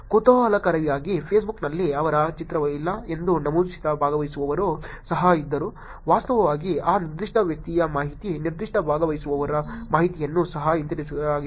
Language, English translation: Kannada, Interestingly there was also a participant who mentioned that he did not have the picture on Facebook, actually information of that particular person, of that particular participants was also brought back